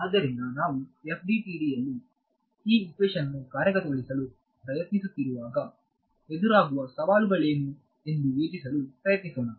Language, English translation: Kannada, So, let us try to just think of what are the challenges that will come when we are trying to implement this equation in FDTD